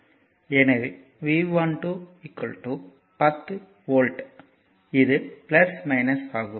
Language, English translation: Tamil, So, it is 10 volt